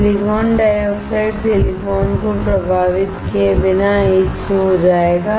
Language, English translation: Hindi, Silicon dioxide will get etched without affecting silicon